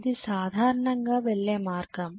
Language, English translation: Telugu, That is the way it goes generally